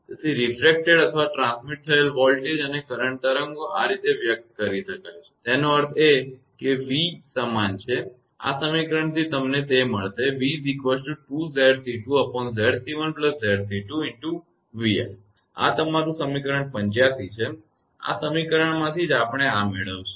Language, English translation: Gujarati, Thus the refracted or transmitted voltage and current waves can be expressed as; that means, v is equal to; from this equation you will get it v is equal to 2 Z c 2; upon Z c 1 plus Z c 2, this is v f this is equation your 85, from this equation only we will get this one